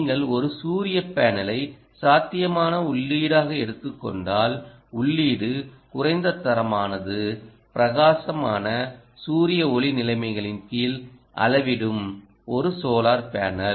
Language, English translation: Tamil, if you take a solar panel as a possible input, a single solar panel will measure um under bright sunlight conditions